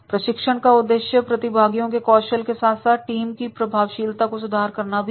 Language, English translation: Hindi, Training is directed at improving the trainees skills as well as the team effectiveness